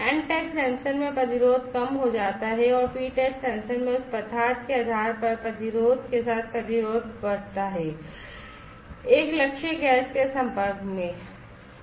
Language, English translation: Hindi, In n type sensors the resistance decreases and in p type sensors the resistance increases with respect to the baseline resistance when that particular material is exposed to a target gas